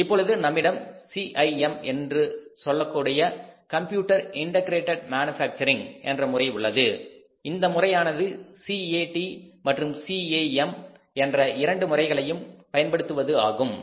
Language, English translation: Tamil, Now we have the CIM, computer integrated manufacturing utilizes both CAD and CAM